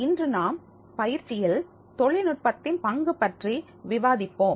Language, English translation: Tamil, Today, we will discuss the role of technology in training